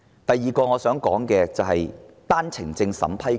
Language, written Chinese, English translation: Cantonese, 第二個我想談論的問題是單程證審批權。, The second issue I wish to talk about is the power to vet and approve One - way Permit OWP applications